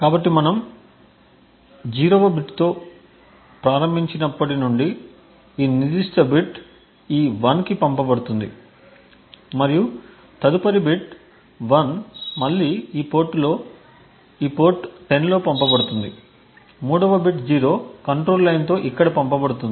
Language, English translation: Telugu, So since we start with a 0th bit this particular bit this thing will be actually sent to this 1 and the next bit which is 1 again would be sent on this port 10, the 3rd bit which is 0 would be sent here with the control line even and the 4th bit which is here would be having the control of 30 and sent on this port